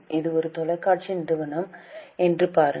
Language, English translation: Tamil, See, this is a TV company